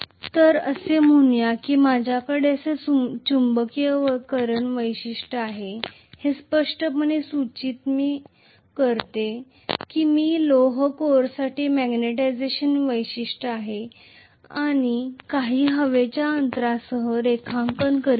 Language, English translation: Marathi, So let us say I am having a magnetization characteristic like this, this clearly indicates that I am drawing the magnetization characteristics for an iron core along with maybe some air gap